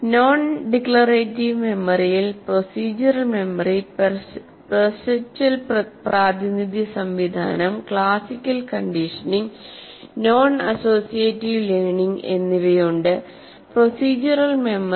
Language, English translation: Malayalam, There are five different ones or procedural memory, perceptual representation system, classical conditioning, and non associative learning